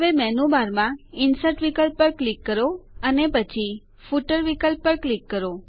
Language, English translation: Gujarati, Now click on the Insert option in the menu bar and then click on the Footer option